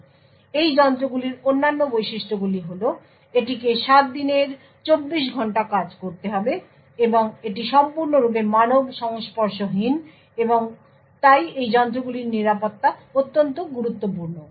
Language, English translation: Bengali, Other features of these devices is that it has to operate 24 by 7 and it is completely unmanned and therefore the security of these devices are extremely important